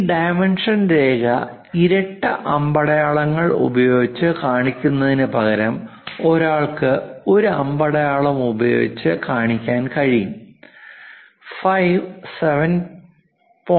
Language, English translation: Malayalam, Instead of showing this dimension line double arrows thing one can also show it by a single arrow, a leader line with phi 7